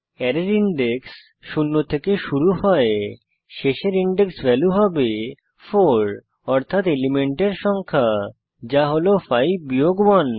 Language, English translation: Bengali, As array index starts from zero, the last index value will be 4 i.e number of elements, which is 5, minus 1